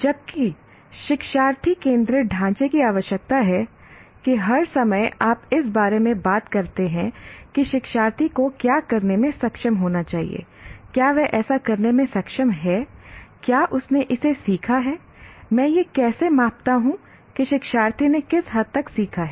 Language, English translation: Hindi, Whereas learner centric framework requires that all the time you talk about what should the learner be able to do, has he been able to do that, has he learned it, how do you have measured to what extent the learner has learned